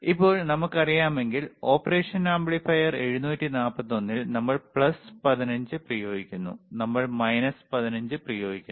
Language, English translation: Malayalam, Now, if if we know we have studied right, in operational amplifiers 741, we apply plus 15, we apply minus 15